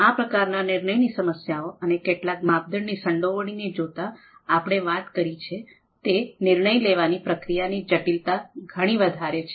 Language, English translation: Gujarati, So given these types of decision problems and the involvement of several criteria as we have talked about, the complexity of decision making process is much higher